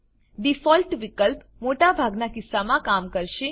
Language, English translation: Gujarati, The Default option will work in most cases